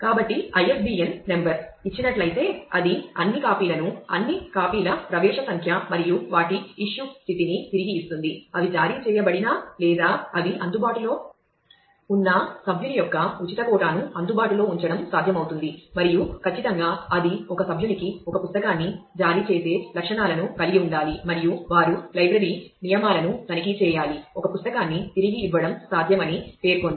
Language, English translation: Telugu, So, given the ISBN number it will return all the copies the accession number of all the copies and their issue status; whether they are issued or they are available it should be available it should be possible to check the quota available free quota of a member and certainly it should have features of issuing a book to a member and they should check for the rules of the library as stated it should be possible to return a book and so, on